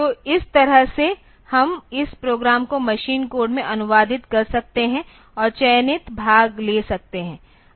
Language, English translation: Hindi, So, this way we can have this we can have this program translated into machine code and have selected portion can be taken